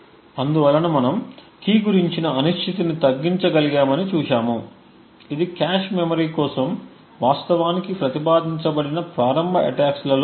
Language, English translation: Telugu, So, thus we see that we have been able to reduce the uncertainty about the key, this is one of the initial attacks that was actually proposed for cache memory